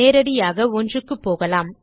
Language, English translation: Tamil, Itll go to 1 straight away